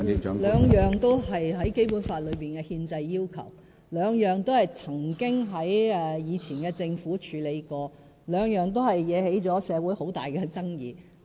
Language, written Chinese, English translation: Cantonese, 這兩項都是在《基本法》內列出的憲制要求，兩項都曾經在前任政府任內處理過，都引起社會很大爭議。, Both issues are constitutional requirements under the Basic Law . The previous Governments already attempted to handle these issues in their respective terms and in both cases bitter disputes arose in society